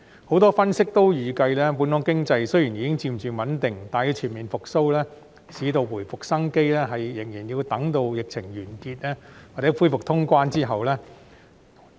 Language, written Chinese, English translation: Cantonese, 很多分析均預計，本港經濟雖然已經漸漸穩定，但要全面復蘇，市道回復生機，仍然要待疫情完結或恢復通關後。, Many analyses predict that while the economy of Hong Kong has gradually stabilized we still have to wait for the end of the epidemic or the reopening of the border to achieve full recovery and market revival